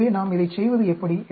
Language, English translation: Tamil, So how do we go about doing this